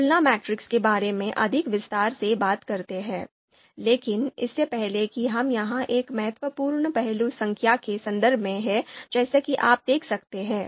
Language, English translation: Hindi, So let’s talk about the comparison matrix in more detail, but before we go there one important aspect here is in terms numbers as you can see